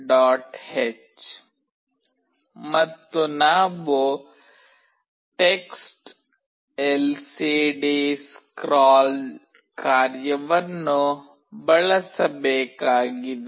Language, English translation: Kannada, h, and we have to use a function TextLCDScroll